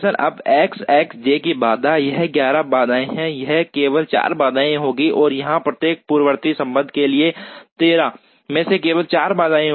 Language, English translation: Hindi, Now, the constraints X i j, this will be 11 constraints, this will be only 4 constraints and here, for every precedence relationship there will be only 4 constraints into 13